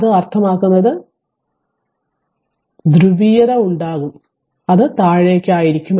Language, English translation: Malayalam, So, minus means; so, we will make the polarity it will be at the downwards right